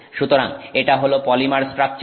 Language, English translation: Bengali, So, this is the polymer structure